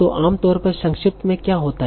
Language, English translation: Hindi, So what happens generally in abbreviations